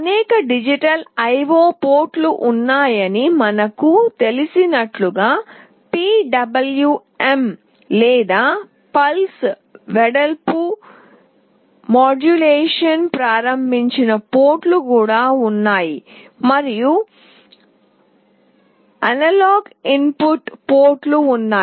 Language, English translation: Telugu, As we know there are several digital IO ports, there are also PWM or Pulse Width Modulation enabled ports, and there are analog input ports